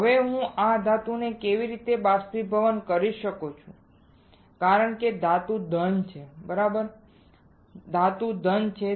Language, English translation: Gujarati, Now how I can evaporate this metal because metal is solid right metal is solid